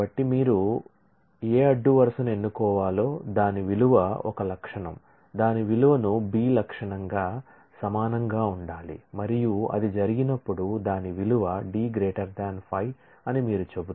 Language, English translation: Telugu, So, you are saying that that any row to be selected, the value of it is A attribute should equal the value of it is B attribute and when that happens the value of it is D attribute must be greater than 5